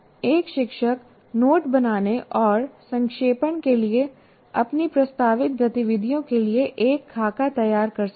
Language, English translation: Hindi, And the teacher can design templates for his proposed activities for note making and summarization